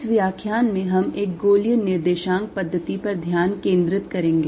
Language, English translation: Hindi, in this lecture we will focus on a spherical coordinate system